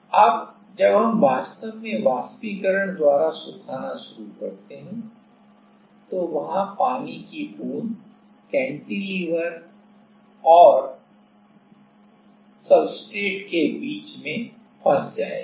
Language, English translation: Hindi, Now, when we start actually evaporation drying then there will be in water droplet, which will be trapped in between the cantilever and the in between the in between the cantilever and the substrate